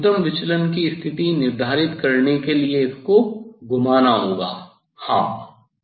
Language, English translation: Hindi, I have to rotate this one to set the minimum deviation position yes